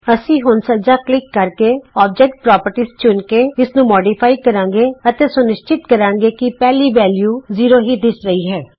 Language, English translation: Punjabi, We just have to modify this by right clicking and checking on object properties and making sure the first value zero appears here and press close